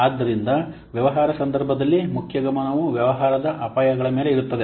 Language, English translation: Kannada, So in business case, the main focus is in business risk